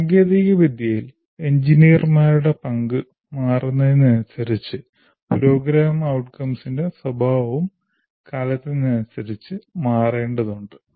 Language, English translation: Malayalam, As the technology changes, the role of engineers change, so the nature of program outcomes also will have to change with time